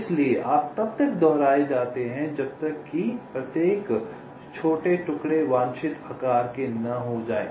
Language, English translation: Hindi, so you go on repeating till each of the small pieces are of the desired size